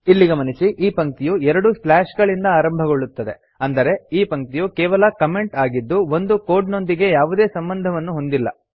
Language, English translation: Kannada, Notice that this line begins with two slashes which means this line is the comment and has nothing to do with our code